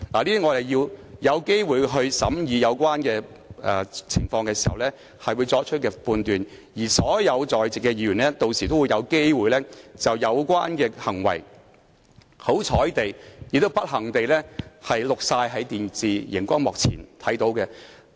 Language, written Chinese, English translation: Cantonese, 如我們有機會審視有關情況，我們將就此作出判斷，而所有在席的議員屆時均有機會看到這些不知道是有幸還是不幸地在電視熒光幕播放的行為。, Granting the opportunity to examine what happened back then we will make a judgment on it and by then all Members present will have the opportunity to watch such acts broadcast on the television screen not knowing whether luckily or not